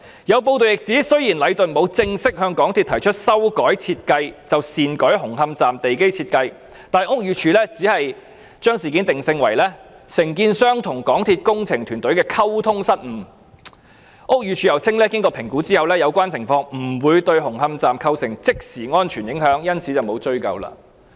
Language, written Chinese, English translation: Cantonese, 有報道亦指出，雖然禮頓沒有正式向港鐵公司提出修改設計便擅改紅磡站地基設計，但屋宇署只將事件定性為承建商與港鐵公司工程團隊的溝通失誤，並表示經評估後，有關情況不會對紅磡站構成即時安全影響，因此沒有作出追究。, It is also reported that although Leighton had altered the foundation design of Hung Hom Station without formally proposing the alteration of design to MTRCL BD merely regarded this incident as a problem of communication between the contractor and the engineering team of MTRCL adding that after making an assessment the relevant situation was considered to pose no immediate danger to the Hung Hom Station and therefore no follow - up action was taken